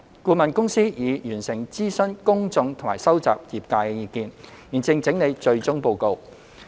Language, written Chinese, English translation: Cantonese, 顧問公司已完成諮詢公眾和收集業界意見，現正整理最終報告。, The consultant has completed the public consultation and collected views of the industry and is now compiling the final report